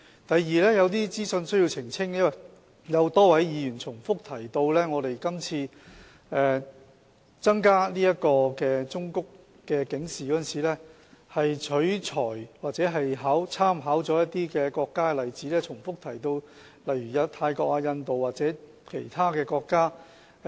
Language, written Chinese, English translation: Cantonese, 第二，我需要澄清一些資訊，因為多位議員重複提到我們今次增加忠告警示的建議，是取材或參考了一些國家的例子，並重複提到泰國、印度或其他國家。, Second I need to clarify some information as a number of Members have repeatedly said that our proposal to increase the forms of warnings this time around is modelled on or introduced with reference to the examples of some countries and they have mentioned Thailand India or other countries repeatedly